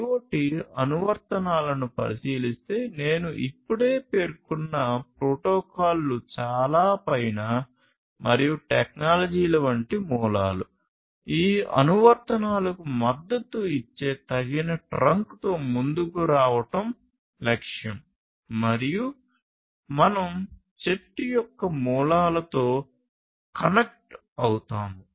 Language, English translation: Telugu, So, considering the IoT applications on the very top and the roots like the ones the technologies this protocols that I just mentioned; the objective is to come up with a suitable trunk that will support these applications and we will connect with the roots of the tree